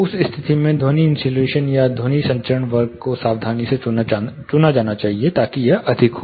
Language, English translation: Hindi, In that case the sound insulation or the sound transmission class which we call, is now should be carefully chosen such that it is higher